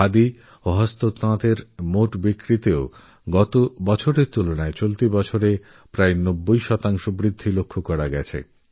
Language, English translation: Bengali, Compared to last year, the total sales of Khadi & Handicrafts have risen almost by 90%